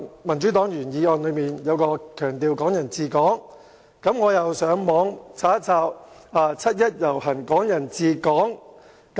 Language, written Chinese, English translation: Cantonese, 民主黨的原議案強調"港人治港"，於是我便上網搜尋"七一遊行"、"港人治港"等字眼。, Given the emphasis on the principle of Hong Kong people administering Hong Kong in the original motion of the Democratic Party I performed a keyword search for phrases like 1 July march and Hong Kong people administering Hong Kong on the Internet